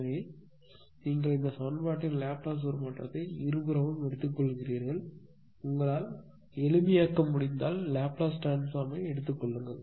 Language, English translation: Tamil, So, you take the Laplace transform of this equation both side you take the Laplace transform; if you can simplify you take the Laplace transform and then you simplify if you if you if you do so